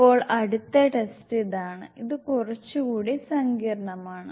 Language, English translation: Malayalam, Now the next test is this one, which is a little bit more complex